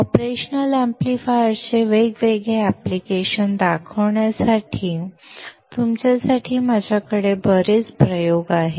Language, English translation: Marathi, I have lot of experiments for you guys to see showing different application of operational amplifiers